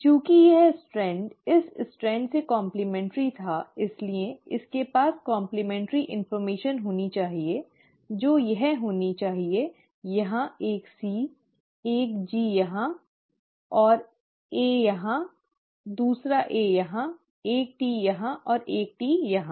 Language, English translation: Hindi, Now since this strand was complementary to this strand, it should exactly have the complementary information, which is it should have had a C here, a G here, right, and A here, another A here, a T here and a T here